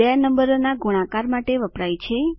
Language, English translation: Gujarati, * is used for multiplication of two numbers